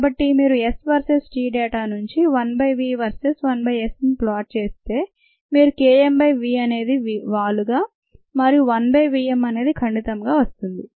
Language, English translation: Telugu, ok, so if you plot one by v verses, one by s, from the s verses t data, you should get k m by v m as a slope and one by v m as the intercept